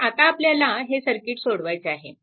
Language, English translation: Marathi, So, now, we have to we have to solve this circuit